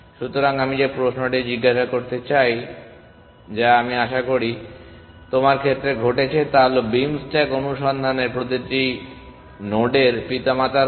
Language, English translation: Bengali, So, the question I want to ask which i hope has occurred to you is in beam stack search you have the parents of every node